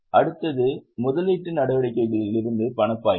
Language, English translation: Tamil, Next is cash flow from investing activities